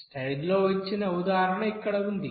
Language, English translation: Telugu, Here is example given in the slides here